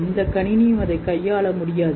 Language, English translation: Tamil, No computer can handle it